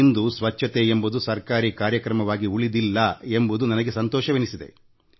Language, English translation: Kannada, And I'm happy to see that cleanliness is no longer confined to being a government programme